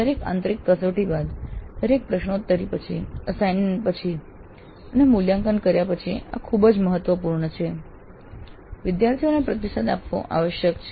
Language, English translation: Gujarati, After every internal test, after the quiz, after the assignments are turned in and evaluated, feedback must be provided to the students